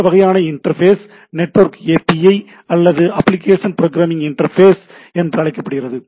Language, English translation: Tamil, So, this is the interface this sort of interface is called network API or Application Program Interface